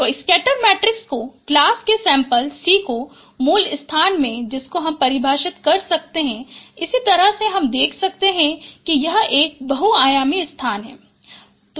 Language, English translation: Hindi, So scatter matrix of sample of class C in the original space that that is also defined in the same way